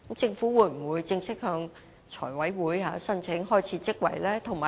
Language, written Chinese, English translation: Cantonese, 政府會否正式向財務委員會申請開設職位呢？, Will the Government submit an official application to the Finance Committee for creation of the post?